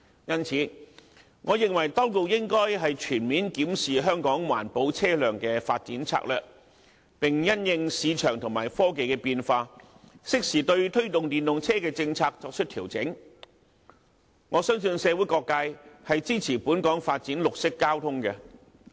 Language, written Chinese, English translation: Cantonese, 因此，我認為當局應該全面檢視香港環保車輛的發展策略，並因應市場和科技的變化，適時對推動電動車的政策作出調整，我相信社會各界均支持本港發展綠色交通。, Therefore I think that the authorities should comprehensively review the development strategy for environment - friendly vehicles in Hong Kong and make timely adjustments to the policy on the promotion of EVs in response to changes in the market and technology . I trust that all quarters of society are in favour of development of green transport in Hong Kong